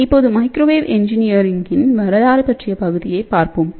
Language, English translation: Tamil, So, now let us just look at the next part which is history of microwave engineering